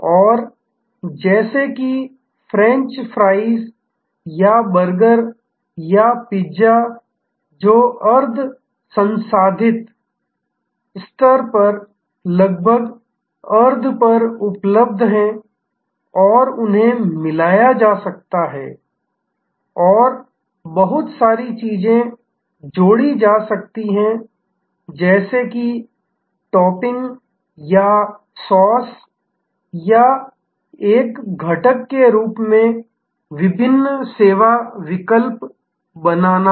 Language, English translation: Hindi, And like whether French fries or burgers or pizzas or which are almost available on semi prepared at semi prepared level and they can be combined and lot of things can be added like as a topping or as a sauce or as an ingredient, creating different service alternatives